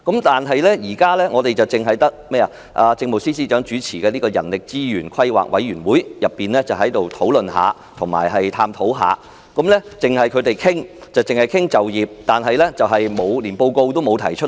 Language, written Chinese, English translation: Cantonese, 但是，政府現時只有由政務司司長主持的人力資源規劃委員會稍作討論和探討，而且該委員會只是商討就業方面，連報告也不曾提交。, But now only HRPC in our Government has briefly discussed and explored this subject . Under the chairmanship of the Chief Secretary for Administration HRPC has only discussed employment - related issues and is yet to produce any reports